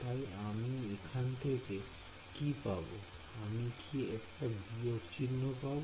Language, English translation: Bengali, So, what will I get from here I will get a minus